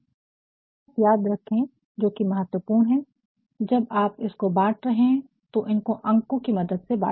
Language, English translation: Hindi, Remember one thing which is very important, when you are going to divide please divide with the help of the numbers